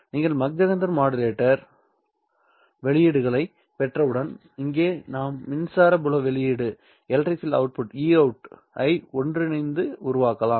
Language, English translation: Tamil, Once you get the maxenter modulated outputs here, you can then combine to form the electric field output E out of T